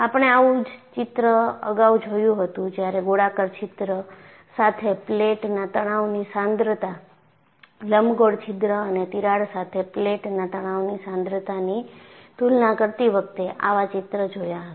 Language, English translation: Gujarati, In fact, we had seen earlier, a picture similar to this, while comparing stress concentration of a plate with a circular hole, stress concentration of a plate with an elliptical hole and a crack